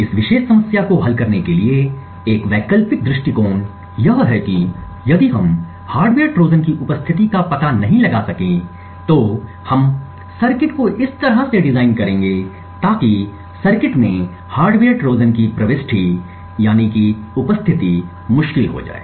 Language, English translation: Hindi, An alternate approach to solve this particular problem is to prevent hardware Trojans altogether so essentially if we cannot detect the presence of a hardware Trojan we will design circuits in such a way so that insertion of hardware Trojans in the circuits become difficult